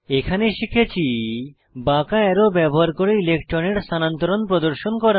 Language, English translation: Bengali, I had added curved arrows and charges to show electron shifts within the structures